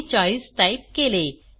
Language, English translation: Marathi, I will enter 40